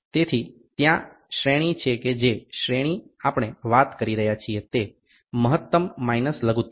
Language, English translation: Gujarati, So, there range what is a range we are talking about range is max minus min